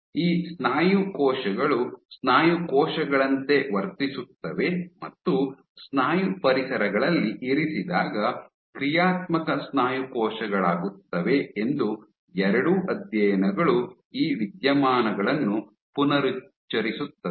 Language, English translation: Kannada, Both these studies reaffirm these phenomena that these muscle cells behave like muscle cells the function like becomes functional muscle cells when they are placed in a muscle like environment